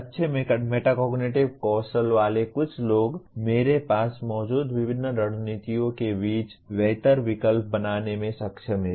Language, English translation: Hindi, Some people with good metacognitive skills are able to make a better choice between the various strategies that I have